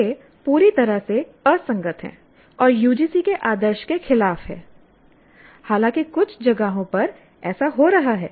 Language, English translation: Hindi, They are totally incompatible and against the UGC norm, though in some places it seems to be happening